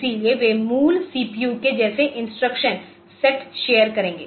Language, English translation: Hindi, So, they share the same instruction set as the basic CPU